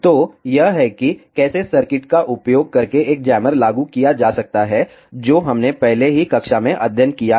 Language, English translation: Hindi, So, this is how a jammer can be implemented using the circuits that we have already study in the class